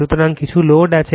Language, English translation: Bengali, So, loads are there